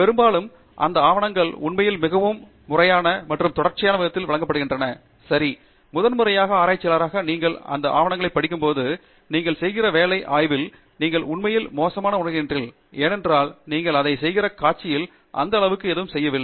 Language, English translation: Tamil, Often those papers are, in fact, not often, always those papers are presented in a very systematic and sequential manner, ok so and as a first time researcher when you read those papers, and you think of the work that you are doing in the lab, you really feel bad because you are not doing anything in that level of sequence at which they are doing it